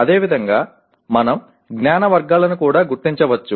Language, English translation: Telugu, And similarly we can also identify the knowledge categories